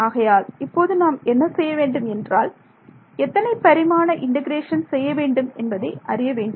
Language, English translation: Tamil, So we have to do what how many dimensional integration